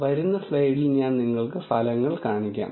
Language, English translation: Malayalam, I will show you the results in the coming slide